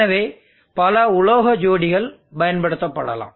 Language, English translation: Tamil, So there are many metal pairs that can be used